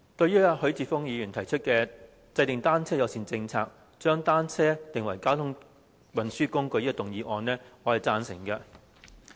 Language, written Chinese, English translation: Cantonese, 主席，許智峯議員提出"制訂單車友善政策，將單車定為交通運輸工具"的議案，我是贊成的。, President I support the motion on Formulating a bicycle - friendly policy and designating bicycles as a mode of transport proposed by Mr HUI Chi - fung